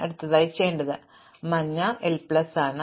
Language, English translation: Malayalam, So, initially yellow is l plus 1